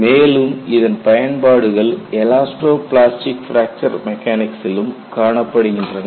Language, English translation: Tamil, And, these concepts are extended for elasto plastic fracture mechanics